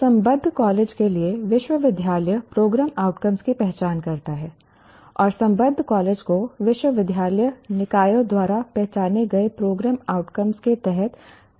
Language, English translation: Hindi, For an affiliated college, the university identifies the program outcomes and the affiliated college will have to operate under the program outcomes identified by the university bodies